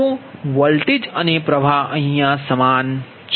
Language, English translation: Gujarati, so voltage and current, same philosophy